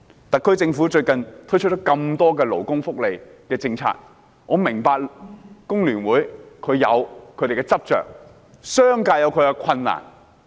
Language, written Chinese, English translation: Cantonese, 特區政府最近推出多項勞工福利政策，我明白工聯會有其執着之處，而商界也面對其困難。, The SAR Government has recently introduced a number of labour and welfare policies . I understand that FTU has its insistence but the business sector is also faced with difficulties